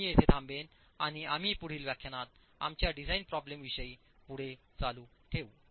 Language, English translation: Marathi, I'll stop here and we will continue our design problems in the next lecture